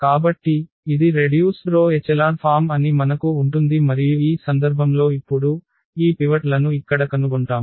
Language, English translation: Telugu, So, what we will have that this is the row reduced echelon form and in this case now, we will find out these pivots here